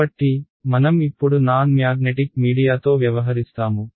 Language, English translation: Telugu, So, we will deal with non magnetic media for now ok